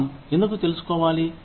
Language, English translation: Telugu, Why should we, want to know